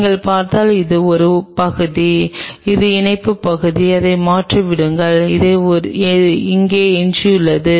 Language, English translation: Tamil, If you just look this is the only part which is this is the attachment part forget about it this is only what is left there